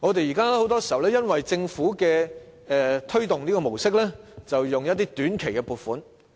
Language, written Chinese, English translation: Cantonese, 現在很多時候，因為政府要推動 STEM 教育，便撥出短期撥款。, Now the Government often grants short - term funding to promote STEM education